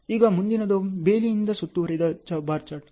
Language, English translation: Kannada, Now, this is primarily the fenced bar chart